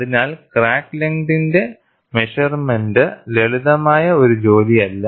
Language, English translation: Malayalam, So, measurement of crack length is not a simple task; it is an involved task